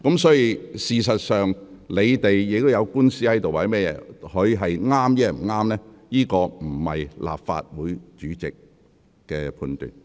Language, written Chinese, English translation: Cantonese, 事實上，如議員有官司在身，有關的是非對錯並非由立法會主席判斷。, In fact if a Member is involved in a lawsuit it is not up to the President of the Legislative Council to judge the right or wrong in that regard